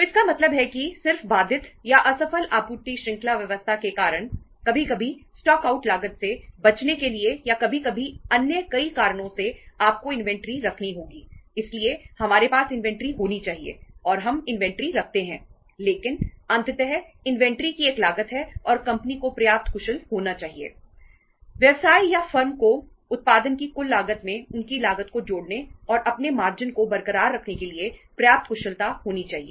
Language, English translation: Hindi, So it means just because of the say say interrupted or the very and not very successful supply chain arrangements sometime because to avoid the stock out cost or sometime because of many other reasons you have to keep the inventory so we are to have the inventory and we are keeping the inventory but ultimately inventory has a cost and the company should be efficient enough